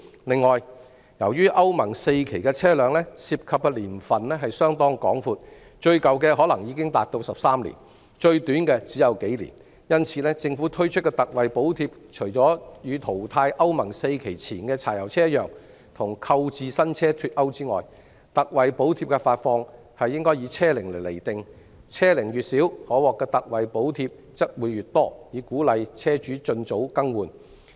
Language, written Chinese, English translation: Cantonese, 另外，由於歐盟 IV 期的車輛涉及的年份甚廣，最舊的可能已達13年，最短的只有數年，因此，政府推出的特惠補貼，除與淘汰歐盟 IV 期前的柴油車一樣與購置新車脫鈎外，特惠補貼的發放應以車齡釐定，車齡越小，可獲的特惠補貼則會越多，以鼓勵車主盡早更換。, Besides since the age range of Euro IV diesel vehicles is wide from the oldest ones which may be already 13 years of age to the youngest ones of only a few years old the ex gratia payment introduced by the Government apart from being delinked from the purchase of new vehicles as in the scheme of phasing out the pre - Euro IV diesel vehicles should also be determined by the age of a vehicle so that the younger the vehicle the more ex gratia payment it can obtain with a view to encouraging vehicle owners to replace their old vehicles as early as possible